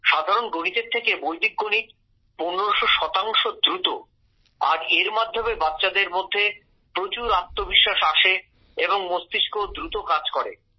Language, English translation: Bengali, Vedic maths is fifteen hundred percent faster than this simple maths and it gives a lot of confidence in the children and the mind also runs faster